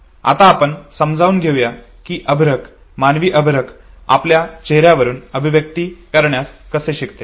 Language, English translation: Marathi, Let us now understand how an infant human infant learns to express through face